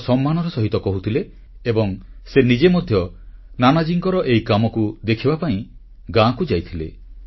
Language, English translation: Odia, He used to mention Nanaji's contribution with great respect and he even went to a village to see Nanaji's work there